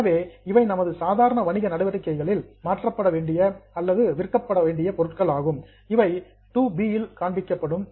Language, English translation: Tamil, So, these are items which are meant to be converted or sold in our normal course of business, which will be shown under 2B